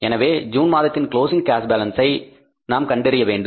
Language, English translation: Tamil, So we have to find out the closing balance of the cash for the month of June